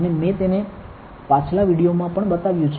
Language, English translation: Gujarati, And I have shown it to you in the previous video also